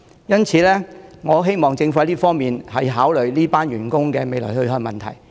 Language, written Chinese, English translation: Cantonese, 因此，我希望政府考慮這群員工的去向。, Therefore I hope the Government will consider the way out of these employees